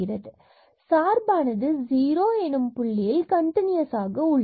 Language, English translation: Tamil, So, the function is continuous at the point 0 0